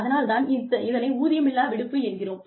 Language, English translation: Tamil, That is why, it would be called unpaid leave